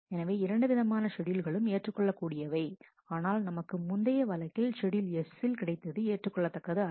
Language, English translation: Tamil, So, either of these schedules are acceptable, but what we got as a schedule S in the last case are not acceptable